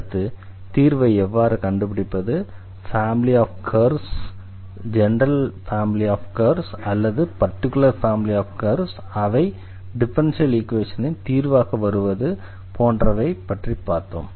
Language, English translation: Tamil, So, how to the find the solution; how to find the family of curves whether a particular family of curves or the general family of curves, of that will be as a solution of the given differential equation